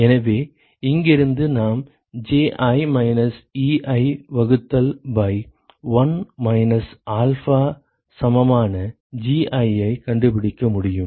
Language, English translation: Tamil, So, from here we can find out Gi equal to Ji minus Ei divided by 1 minus alpha ok